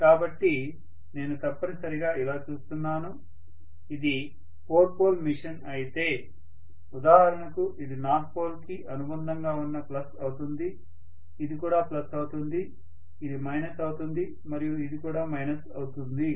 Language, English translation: Telugu, So I am essentially looking at, if it is a four pole machine for example this is going to be plus which is affiliated to north pole, this will also be plus, this will be minus and this will be minus as well